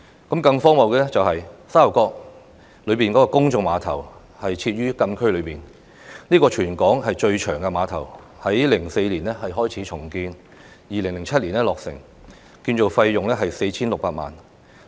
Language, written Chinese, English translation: Cantonese, 更荒謬的是，沙頭角公眾碼頭設於禁區內，它是全港最長的碼頭，在2004年開始重建，並於2007年落成，建造費用達 4,600 萬元。, What is more ridiculous is that the Sha Tau Kok public pier is located within the frontier closed area and yet it is the longest pier in Hong Kong . The pier started its reconstruction in 2004 and the project was completed in 2007 at a cost of 46 million . Members of the public may use the Kaito ferry services at the pier to travel to Kat O and Ap Chau